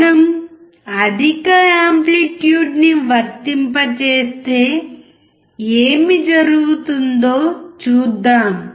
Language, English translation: Telugu, Let us see what happens when we apply higher amplitude